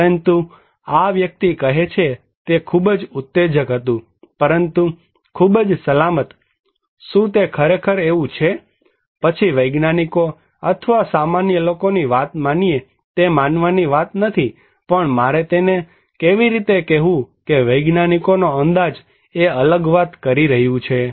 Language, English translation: Gujarati, But this person is saying that it was tremendously exciting but quite safe, is it really so, then come to believe the scientists or the general people, it is not a matter of believing, but how I have to tell him that scientific estimation is saying a different story